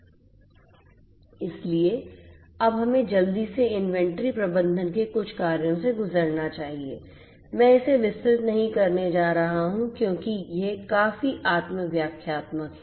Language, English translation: Hindi, So, now let us quickly go through some of the functions of inventory management I am not going to elaborate this because these are quite self explanatory